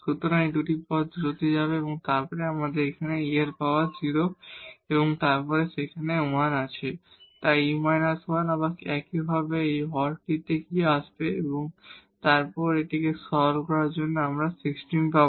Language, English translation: Bengali, So, these 2 terms will go to 0 and then we have here again this e power this is 0 and then you have 1 there, so e power minus 1, again the same, so which will come in the denominator and then after simplifying this we will get 16